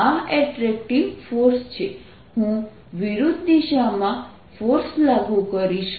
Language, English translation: Gujarati, i'll be applying a force in the opposite direction